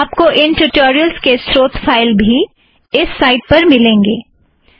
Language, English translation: Hindi, Source files used to create these tutorials are also available at this website